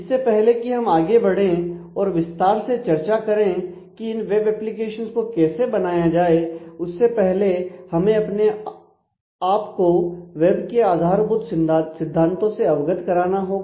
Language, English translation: Hindi, So, before we move forward in terms of the details of how to build these applications; we need to familiarize ourselves with the basic notions of the web as such